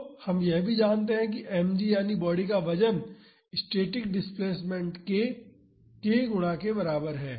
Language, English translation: Hindi, So, we also know that mg that is the weight of the body is equal to k times the static displacement